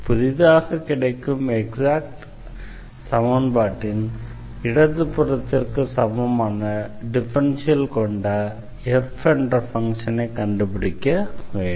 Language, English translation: Tamil, We need to find the function f whose differential is here this left hand side of the given differential equation